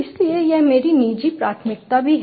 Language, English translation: Hindi, so that is also my personal preference